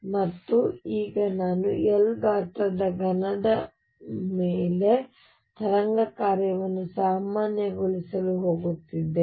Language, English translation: Kannada, And now I am going to normalize the wave function over a cube of size L